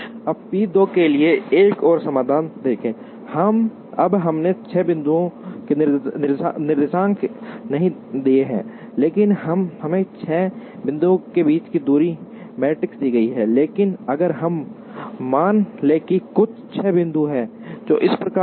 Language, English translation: Hindi, Now, let us look at another solution for p equal 2, now we have not given the coordinates of the 6 points, but we are given the distance matrix among the six points, but let if we assume that, there are some six points, which are like this